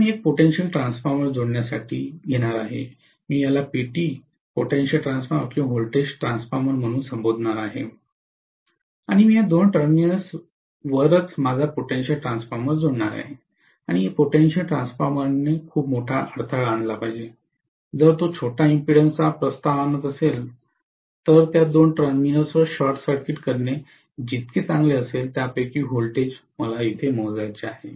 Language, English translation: Marathi, Now what I am going to do is to connect a potential transformer, I will call this as PT, potential transformer or voltage transformer and I am going to actually connect across these two terminals itself my potential transformer and the potential transformer should offer really, really very, very large impedance, if it offers a small impedance, it will be as good as short circuiting the two terminals to be across which I want to measure the voltage